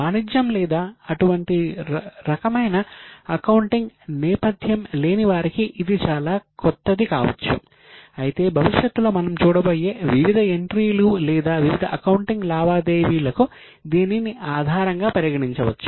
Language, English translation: Telugu, For those who do not have any commerce or such type of accounting background, this may be very new, but this forms the basis of all other entry or various entries or various accounting which is done in future